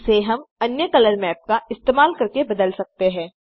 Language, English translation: Hindi, This can be changed by using a different color map